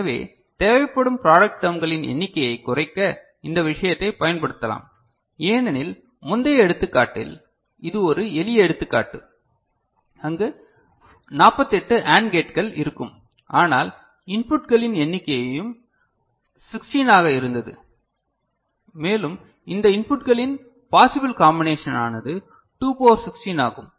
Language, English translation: Tamil, So, you can use this thing to reduce the number of product terms that will be required because in the earlier example, this is a simple example, there will be where 48 AND gates, but number of inputs were also 16 and possible combination of these inputs is 2 to the power 16 right